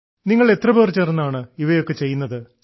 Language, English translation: Malayalam, How many of your friends are doing all of this together